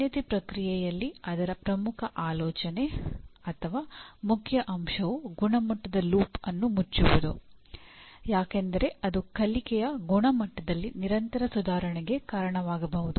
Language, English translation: Kannada, And the accreditation process, the core idea or core facet of that is closing the quality loop can lead to continuous improvement in the quality of learning